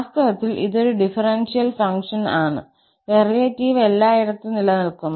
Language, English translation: Malayalam, Indeed, at all this is a differentiable function, the derivative exist everywhere